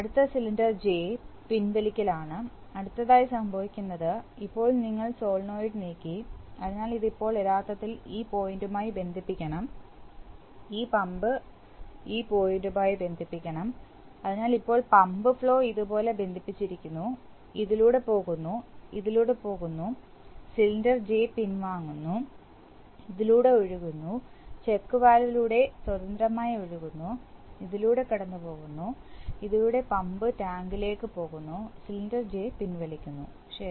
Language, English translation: Malayalam, Next cylinder J retracting, next what happens is, now you have moved the solenoid, so you have moved the solenoid and it is now actually, this is wrong, actually this should be, this is wrong, this should be connected to this point and this pump should be connected to this point, so now the pump flow is connected like this, goes through this, goes through this, cylinder J retracts, flows out through this, flow free flow, Check valve and goes through this, goes through this to pump tank, cylinder J retracts, right